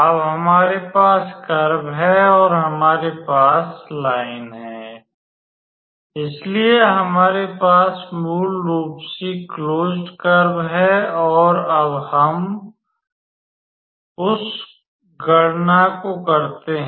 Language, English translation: Hindi, Now, that we have the curve and the we have the line, so we basically have our closed curve and now we do that calculation